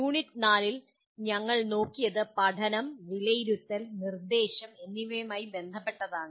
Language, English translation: Malayalam, What we looked at in unit 4 is related to learning, assessment, and instruction